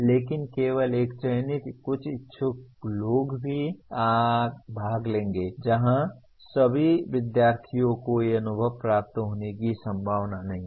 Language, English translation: Hindi, But only a selected, some interested people only will participate where all students are not likely to get these experiences